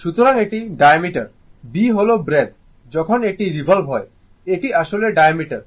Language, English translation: Bengali, So, this is your this is the diameter, b is the breadth basically when it is revolving, it is actually diameter right